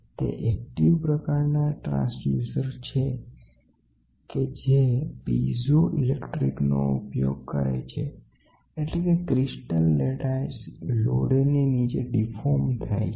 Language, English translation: Gujarati, They are active transducers utilizing piezo electric effect by which give the crystal lattice of say a quartz crystal is deformed under a load